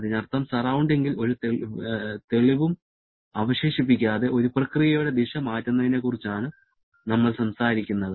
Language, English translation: Malayalam, It means we are talking about changing the direction of a process without keeping any mark on the surrounding